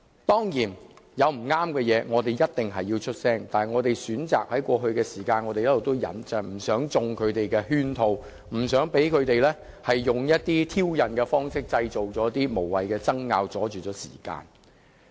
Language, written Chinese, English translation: Cantonese, 當然，對於不正確的事情，我們必須發聲，但我們在過去一段時間選擇一直忍受，是因為不想中他們的圈套，不想讓他們以挑釁的方式製造無謂的爭拗，拖延時間。, Of course we must speak out against incorrect remarks . Yet we have chosen to tolerate because we do not want to fall into their trap and we do not want to be provoked by them to engage in meaningless arguments and thus prolong the debating time